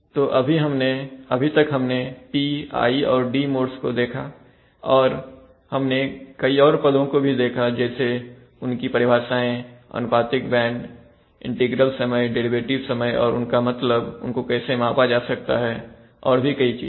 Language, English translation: Hindi, So we looked at the P, I, and D modes and looked at the various terms, their definitions proportional band, integral time and derivative time, the meanings, how they can be measured, so and so then